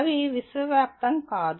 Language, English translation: Telugu, They are not universal